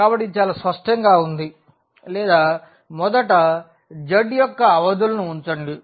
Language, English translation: Telugu, So, it is very clear or let us first put the limits of the z